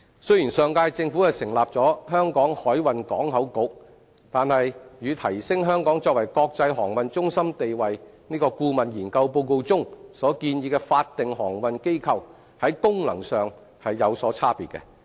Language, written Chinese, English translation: Cantonese, 雖然上屆政府成立了香港海運港口局，但與《提升香港作為國際航運中心地位》顧問研究報告中所建議的法定航運機構，在功能上有所差別。, Although the last - term Government established the Hong Kong Maritime and Port Board its functions differ from a statutory maritime body as recommended in the report on the Consultancy Study on Enhancing Hong Kongs Position as an International Maritime Centre